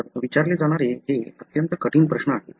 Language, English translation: Marathi, So, it is extremelytough question to ask